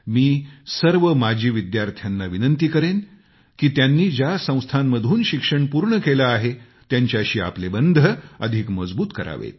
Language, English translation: Marathi, I would like to urge former students to keep consolidating their bonding with the institution in which they have studied